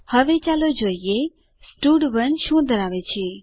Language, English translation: Gujarati, Now, let us see what stud1 contains